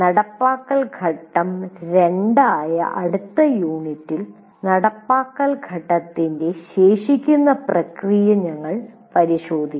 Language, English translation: Malayalam, And in the next unit, which is implementation phase two, we look at the remaining processes of implementation phase